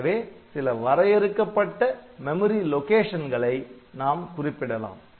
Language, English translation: Tamil, So, it can point to some fixed memory locations